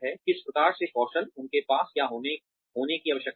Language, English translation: Hindi, What kinds of skills, do they need to have